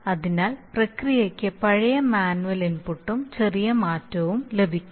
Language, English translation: Malayalam, So the process will, that will get the old manual input plus a little change